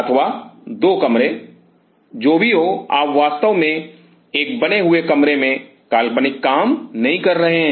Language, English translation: Hindi, Or couple of rooms what isoever you are not really doing the imaginary work to in a construct room